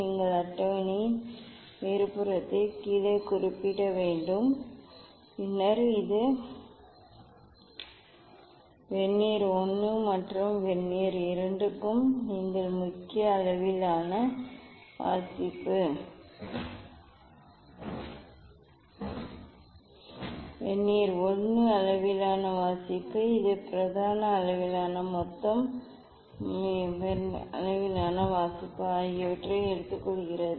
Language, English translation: Tamil, that you should note down on the top of the table and then this for Vernier I and Vernier II, you take the main scale reading, Vernier scale reading, the total of these main scale plus Vernier scale reading